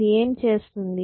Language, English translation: Telugu, What are you doing